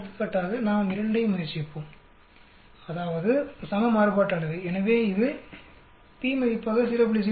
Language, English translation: Tamil, Let us try 2 for example, that means equal variance, so it gives you 0